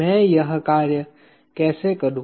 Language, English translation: Hindi, How do I go about doing this